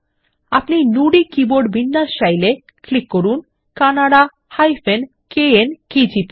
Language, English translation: Bengali, If you want to Nudi keyboard layout, click on the Kannada – KN KGP